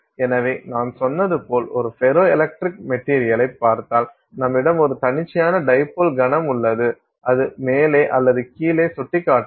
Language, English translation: Tamil, So, if you look at a ferroelectric material as I said, you have a spontaneous dipole moment that can point up or down